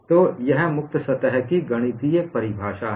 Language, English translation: Hindi, So, that is the mathematical definition of a free surface